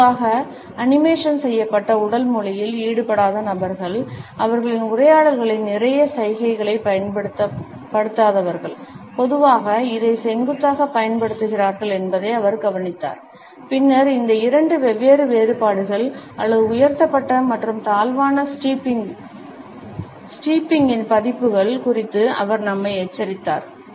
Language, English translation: Tamil, He noticed that people who normally do not engage in animated body language that is people who do not use lot of gestures in their conversations normally use this steeple and then he alerted us to these two different variations or versions of raised and lowered steepling